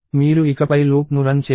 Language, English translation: Telugu, You do not run the loop any more